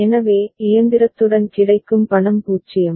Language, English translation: Tamil, So, money available with the machine is 0